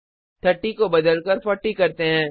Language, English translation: Hindi, Change 30 to 40